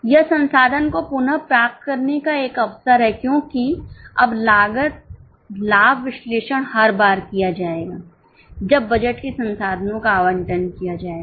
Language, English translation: Hindi, There is an opportunity to reallocate the resource because now the cost benefit analysis will be done every time the resource of the budget will be done